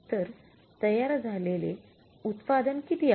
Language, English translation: Marathi, So, how much is the finished product